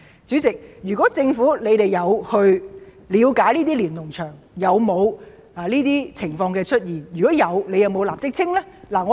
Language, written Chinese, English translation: Cantonese, 主席，如果政府有了解過在那些連儂牆中有否出現上述情況，有否派人立即清理呢？, President has the Government tried to find out if any of the above has appeared on these Lennon Walls and has it sent people to clean them up?